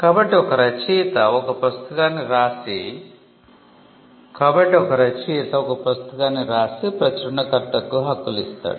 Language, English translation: Telugu, So, an author writes a book and assign it to the publisher